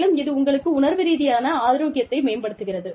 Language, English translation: Tamil, And, that adds to your emotional health